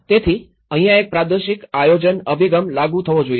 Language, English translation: Gujarati, So, that is where a regional planning approach should be implemented